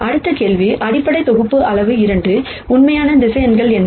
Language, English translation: Tamil, The next question is the basis set is size 2, what are the actual vectors